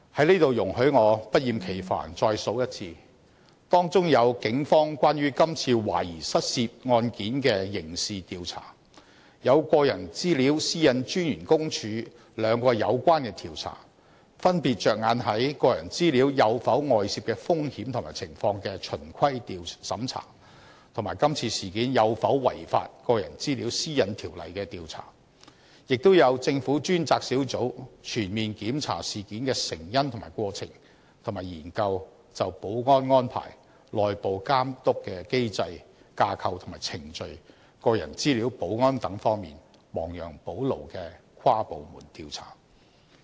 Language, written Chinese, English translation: Cantonese, 在此容許我不厭其煩再數一次：當中有警方關於今次懷疑失竊案件的刑事調查；有私隱專員公署兩項有關調查，分別着眼於個人資料有否外泄的風險或情況的"循規審查"，以及今次事件有否違反《個人資料條例》的調查；亦有政府專責小組全面檢查事件成因及過程，以及研究就保安安排、內部監督機制、架構及程序、個人資料保安等方面亡羊補牢的跨部門調查。, Please allow me to count again Among them there is the criminal investigation carried out by the Police on this suspected theft case; two investigations launched by PCPD one being the compliance audit on the risk or situation of personal data leakage and the other being the investigation on any flouting of PDPO in this incident; an inter - departmental investigation carried out by the task force of the Government to comprehensively review the causes and course of the incident and to study the remedial measures for the security arrangements internal monitoring mechanism structure and procedures as well as personal data security